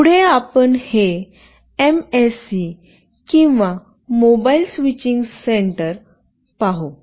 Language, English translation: Marathi, Next we see this MSC or Mobile Switching Center